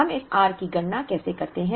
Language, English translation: Hindi, How do we calculate this r